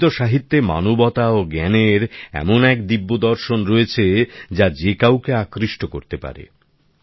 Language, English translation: Bengali, Sanskrit literature comprises the divine philosophy of humanity and knowledge which can captivate anyone's attention